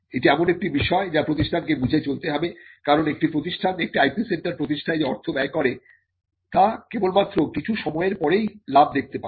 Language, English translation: Bengali, So, this is something that has to be factored in institution because institute that spends money in establishing an IP centre is going to see profits only after sometime